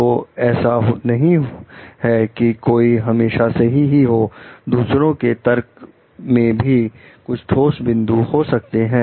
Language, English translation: Hindi, So, it is not that one could always be correct; there could be some substantial point in the other person s argument also